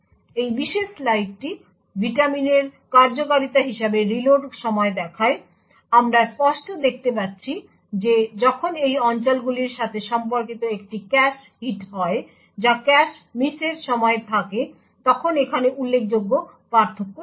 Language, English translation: Bengali, This particular slide show the reload time as the vitamins executing, we can clearly see that there is significant difference when there is a cache hit which is corresponding to these areas over here when there is a cache miss